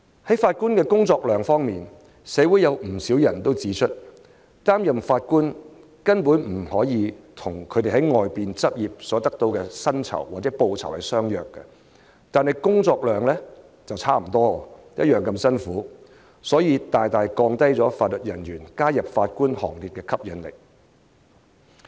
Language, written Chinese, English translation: Cantonese, 就法官的工作量，社會上有不少人指出，擔任法官根本不可以跟他們在外面執業所得到的薪酬相比，但工作量卻差不多，同樣辛苦，因而大大降低法律人員加入法官行列的吸引力。, Regarding the workload of Judges many people have pointed out that the remuneration of Judges cannot be compared to the remuneration they receive if they are in private practice but the workload is equally very heavy . Hence members of the legal profession are discouraged to join the Bench